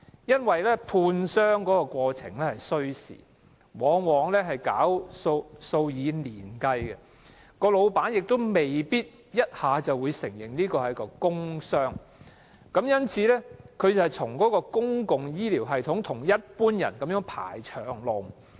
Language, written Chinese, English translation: Cantonese, 一般工傷個案判傷需時，過程往往數以年計，僱主亦未必一下子承認個案屬於工傷，受傷工友因而須在公共醫療系統與其他病人一同"排長龍"。, In normal work injury cases medical examination will take years to complete . Meanwhile the employers concerned may not immediately admit that the injuries are work - related . The injured workers will thus have to wait in the long queue for public health care services